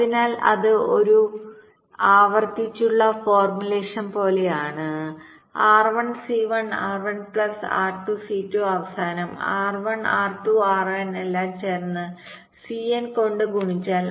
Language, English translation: Malayalam, so like that it is like a recursive formulation: r one, c one, r one plus r two, c two, and at the end r one, r two, r n all added together multiplied by c n